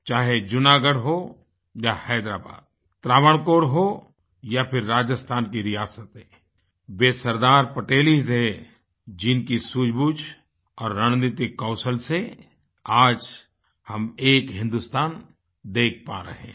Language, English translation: Hindi, Whether Junagadh, Hyderabad, Travancore, or for that matter the princely states of Rajasthan, if we are able to see a United India now, it was entirely on account of the sagacity & strategic wisdom of Sardar Patel